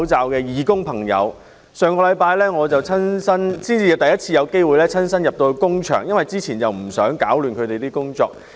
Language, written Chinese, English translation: Cantonese, 我上星期等到工場上了軌道才第一次到工場視察，因為之前不想打亂他們的工作。, I waited till last week to visit the factory for the first time when the work is well on track as I did not want to disrupt the operation before then